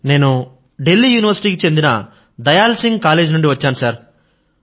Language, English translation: Telugu, I am doing Physics Honours from Dayal Singh College, Delhi University